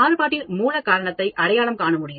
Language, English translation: Tamil, Be able to identify the root cause of variation